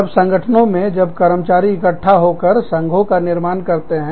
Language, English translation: Hindi, When organizations, when employees, get together and form unions